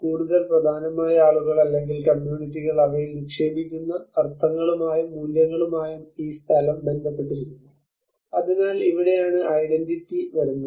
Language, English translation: Malayalam, More importantly, the place is associated with the meanings and the values that the people or the communities invest in them so this is where the identity comes in